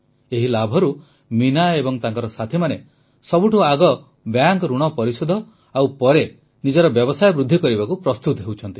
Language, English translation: Odia, With this profit, Meena ji, and her colleagues, are arranging to repay the bank loan and then seeking avenues to expand their business